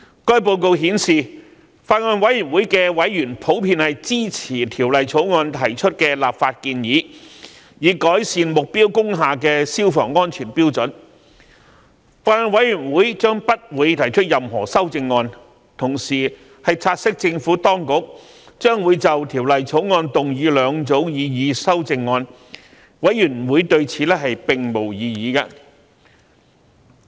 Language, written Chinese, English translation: Cantonese, 該報告顯示，法案委員會的委員普遍支持《條例草案》提出的立法建議，以改善目標工廈的消防安全標準，法案委員會將不會提出任何修正案；委員同時察悉政府當局將會就《條例草案》提出兩組擬議修正案，法案委員會對此並無異議。, As indicated in the report members in general were in support of the legislative proposals put forward in the Bill to improve the fire safety standards of target industrial buildings and the Bills Committee would not propose any amendments . Besides members also noted that the Administration would propose two sets of amendments to the Bill and the Bills Committee has no objection to these proposed amendments